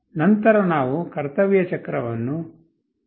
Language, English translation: Kannada, Then we make the duty cycle as 0